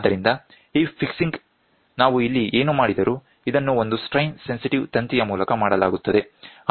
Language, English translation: Kannada, So, this fixing whatever we do here, this is done by a strain sensitive wire